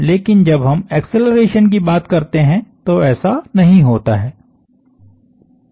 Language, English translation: Hindi, That is not the case when we come to acceleration